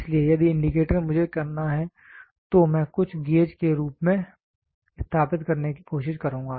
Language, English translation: Hindi, So, if the indicator I have to do then I would try to establish something called as gauges